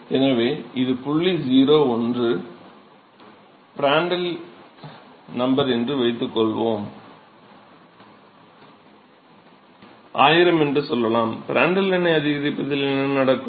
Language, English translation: Tamil, So, let say this is point 0 one pr equal to let say thousand, what happens in increase Prandtl number